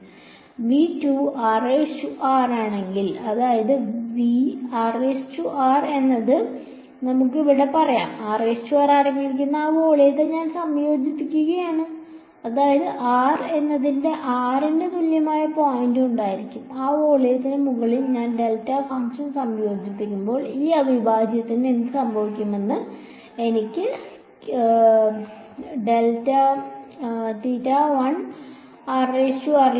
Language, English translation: Malayalam, v 2, if r prime is in v 1; that means, r prime is let us say here, and I am integrating over that volume which contains r prime; that means, there will be one point where r is equal to r prime and when I integrate the delta function over that volume what will happen to this integral I will get